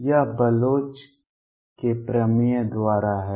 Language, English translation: Hindi, This is by Bloch’s theorem